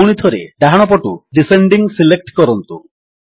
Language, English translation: Odia, Again, from the right side, select Descending